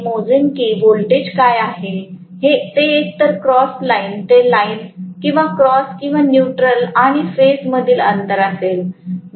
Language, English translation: Marathi, Now, I will measure what is the voltage that comes out either across line to line or across or between the neutral and the phase